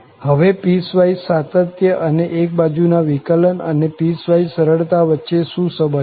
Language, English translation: Gujarati, Now, what is the connection between this piecewise continuity and one sided derivative to the piecewise smoothness